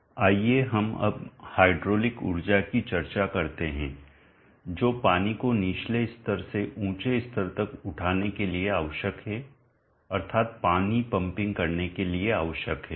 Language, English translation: Hindi, Let us now discuss the hydraulic energy that is required for lifting water from a lower level to a higher level that is for pumping water